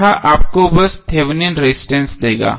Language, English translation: Hindi, That will give you simply the Thevenin resistance